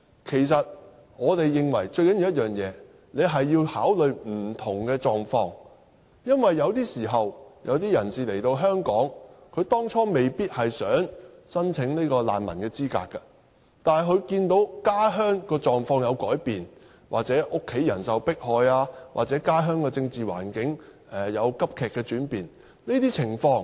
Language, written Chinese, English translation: Cantonese, 其實，我們認為最重要的一點，是要考慮不同的狀況，因為有些人當初來到香港時是未必想申請難民資格的，但後來卻看到家鄉的狀況有改變，又或是家人受迫害、家鄉政治環境急劇轉變等。, In fact we consider the most important point is that we should give consideration to different circumstances . Perhaps a person does not wish to apply for refugee status upon his arrival in Hong Kong but he changes his mind since the situation in his home country has changed or his family being persecuted or the political situation in his home country has deteriorated drastically and so on